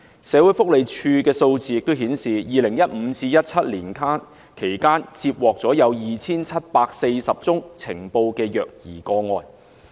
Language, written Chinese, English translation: Cantonese, 社會福利署的數字顯示 ，2015 年至2017年間，接獲 2,740 宗呈報的虐兒個案。, Figures of the Social Welfare Department show that between 2015 and 2017 2 740 reported child abuse cases were received